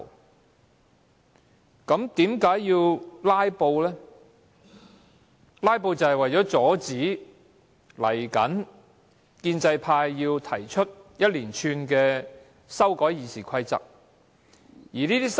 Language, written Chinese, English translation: Cantonese, 民主派議員"拉布"的原因，就是為了阻止建制派提出一系列《議事規則》的修訂。, To the pro - democracy Members the reason for filibustering is to stop the pro - establishment camp from proposing a series of amendments to the Rules of Procedure RoP